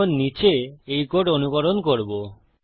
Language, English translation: Bengali, Well now copy this code down